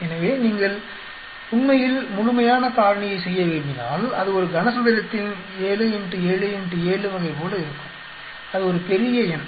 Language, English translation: Tamil, So, ideally if you want to do complete factorial, it will be like a cubical 7 into 7 into 7 type of that is a huge number